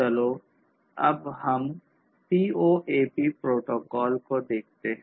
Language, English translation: Hindi, So, let us now look at the CoAP protocol